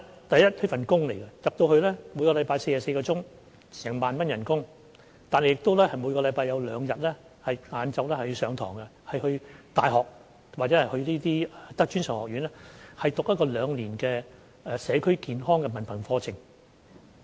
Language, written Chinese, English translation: Cantonese, 第一，這是一份工作，每周工作44小時，月薪 10,000 元，每周亦有兩天下午要到大學或專上學院上課，修讀兩年制的社區健康文憑課程。, Firstly this is a job of 44 working hours per week with a monthly income of 10,000 . Each week they need to take classes in universities or tertiary institutes in two afternoons studying a two - year part - time diploma course in community health care